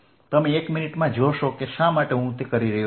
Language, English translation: Gujarati, you will see in a minute why i am doing that